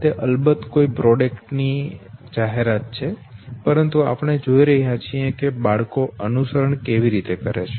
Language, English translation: Gujarati, It is of course an ad of a product but we are looking at how human children they imitate, look at this ad